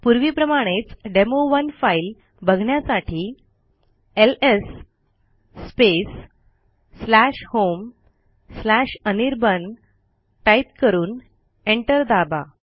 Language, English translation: Marathi, As before to see the demo1 type ls/home/anirban and press enter